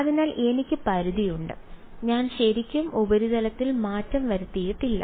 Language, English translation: Malayalam, So, I have in the limit I have not really change the surface